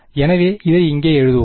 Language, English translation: Tamil, So, let us just write this over let us write this over here